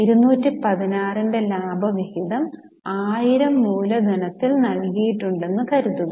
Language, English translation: Malayalam, So, say a dividend of 216 is given on a capital of 1000